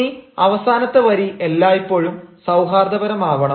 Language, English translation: Malayalam, and the last line, last line, should always be cordial meaning